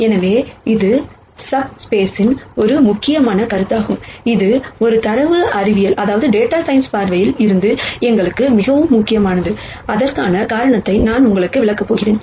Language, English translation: Tamil, So, this is an important concept of subspace, which is very, very important for us from a data science viewpoint and I am going to explain to you why